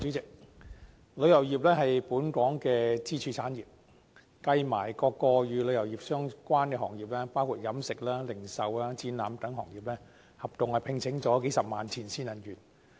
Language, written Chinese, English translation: Cantonese, 主席，旅遊業是本港的支柱產業，與旅遊業相關的各個行業，包括飲食、零售、展覽等行業，合共聘請數十萬名前線人員。, President the tourism industry is a pillar industry of Hong Kong . Together with various tourism - related industries including catering retail and exhibition industries several hundred thousand frontline staff are employed